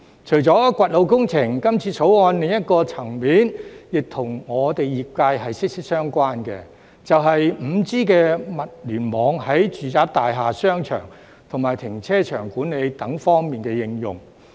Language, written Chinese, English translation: Cantonese, 除了掘路工程，今次《條例草案》另一個層面，亦跟我們業界息息相關，便是 5G 物聯網在住宅大廈、商場和停車場管理等方面的應用。, In addition to road excavation the application of 5G IoT in residential buildings shopping malls and car park management is another aspect of the Bill that is closely related to our sector